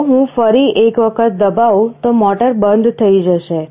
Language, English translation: Gujarati, If I press another time, motor will turn off